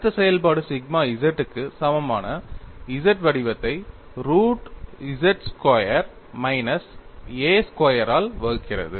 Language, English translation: Tamil, The stress function takes the form capital ZZ equal to sigma z divided by root of z squared minus a squared